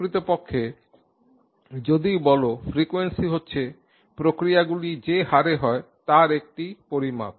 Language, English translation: Bengali, In fact the frequency when you talk about is a measure of the rate at which the processes take place